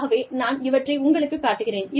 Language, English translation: Tamil, So, let me show this, to you